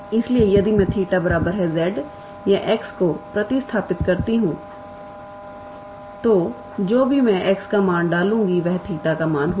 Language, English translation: Hindi, So, if I substitute theta equals to z or x whatever I please the value of x will be the value of theta